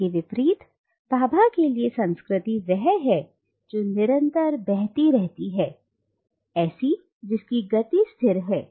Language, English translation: Hindi, On the contrary, culture for Bhabha is something which is fluid, something which is perpetually in motion